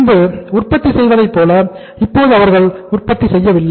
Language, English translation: Tamil, They do not produce as they were producing in the past